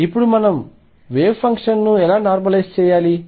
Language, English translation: Telugu, And now how do we normalize the wave function